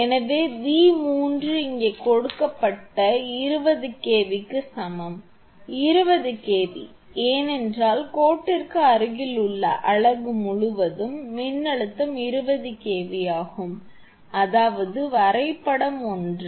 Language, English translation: Tamil, So, V 3 is equal to 20 kV that is given here 20 kV, because the voltage across the unit nearest to the line is 20 kV; that means, diagram is same